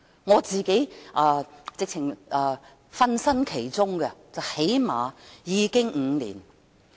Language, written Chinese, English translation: Cantonese, 我自己也曾參與其中，最少已有5年。, I have involved myself in the issue for at least five years